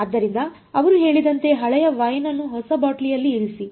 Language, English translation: Kannada, So, let us as they say put old wine in new bottle alright